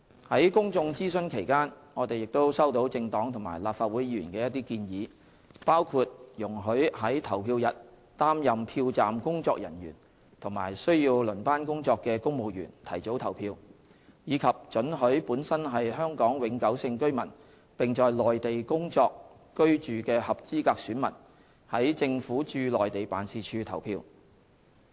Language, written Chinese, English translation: Cantonese, 在公眾諮詢期間，我們亦收到政黨及立法會議員的一些建議，包括容許於投票日擔任票站工作人員及需要輪班工作的公務員提早投票，以及准許本身是香港永久性居民並在內地工作/居住的合資格選民在政府駐內地辦事處投票。, During the public consultation period we also received proposals from political parties and Legislative Council Members on arranging advance polling for civil servants who serve as polling staff and who are on shift on the polling day and allowing eligible electors who are Hong Kong permanent residents workingresiding in the Mainland to cast their votes at the offices of the Government in the Mainland